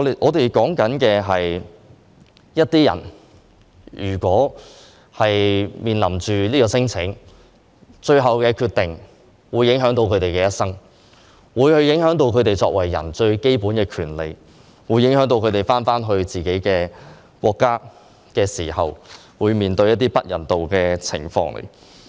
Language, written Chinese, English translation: Cantonese, 在一些人提出免遣返聲請後，最後的決定會影響到他們的人生，會影響到他們作為人最基本的權利，會影響到他們返回自己的國家時，會面對一些不人道的情況。, After lodging non - refoulement claims the final decisions will have an impact on the claimants lives on their basic human rights and on the inhuman treatment that they will encounter after being repatriated to their own countries